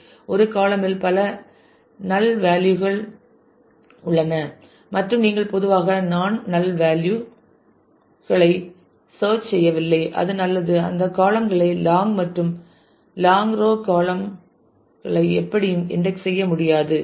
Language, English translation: Tamil, And if a column has the kind of characteristic that there are many nulls in the column and you typically do not search non null values; then it is good it it is better not to index those columns long and long row columns cannot be indexed anyway